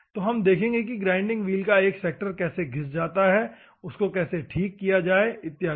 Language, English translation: Hindi, So, we will see how a sector of a grinding wheel goes off, how to rectify and other things